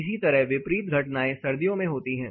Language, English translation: Hindi, Similarly, the opposite phenomena happen in winter